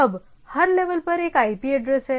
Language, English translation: Hindi, Now at the every level there is a IP address